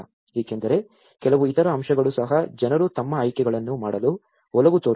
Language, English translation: Kannada, Because there are certain other factors also people tend to make their choices